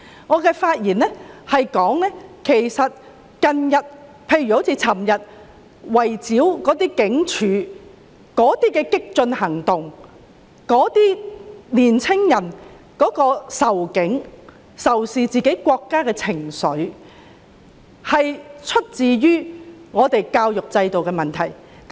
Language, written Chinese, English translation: Cantonese, 我發言指出，近日的激進行動，例如昨晚圍堵警察總部的行為，以及年輕人仇警和仇視自己國家的情緒，是源於我們的教育制度出了問題。, When I spoke I pointed out that the radical movements that happened these days such as the siege of the Police Headquarters last night and young peoples hatred towards the Police and their country were originated from the defects in our education system